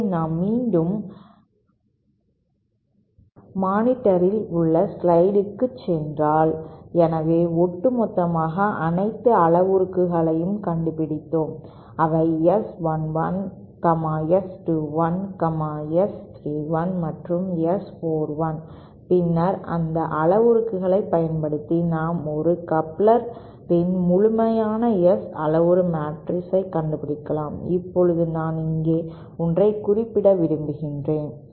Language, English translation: Tamil, So, if we go back to the slides on the monitor, so the overall, so we have found out all the parameters that is S11, S 21, S 31 and S 41 and then using those parameters, we can find out the complete S parameter matrix of a coupler, now I would like to mention something here at this point